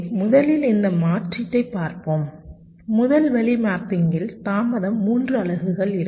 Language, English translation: Tamil, lets look at ah, this alternative, the first way of mapping, where delay is three units